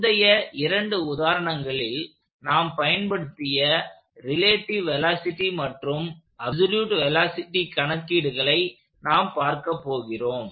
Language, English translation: Tamil, So, we are going to use our relative velocity and relative acceleration calculations that we started to, that we used in the previous two examples as well